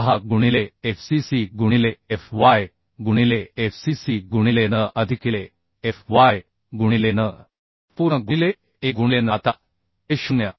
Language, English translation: Marathi, 6 into by into fy by fcc to the power n plus fy to the power n whole to the power 1 by n Now this 0